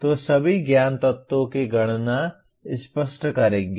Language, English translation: Hindi, So enumerating all the knowledge elements will clarify